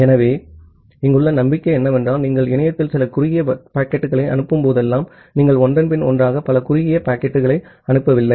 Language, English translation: Tamil, So, the hope here is that whenever you are sending some short packet in the internet, you are not sending multiple short packets one after another